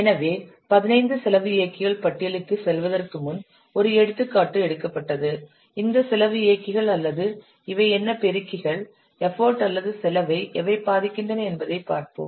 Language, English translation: Tamil, So before going to the 15 list, let's take an example that how these cost drivers or these what multipliers they are affecting the effort or the cost